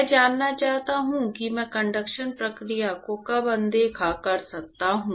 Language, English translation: Hindi, I want to know when can I ignore the conduction process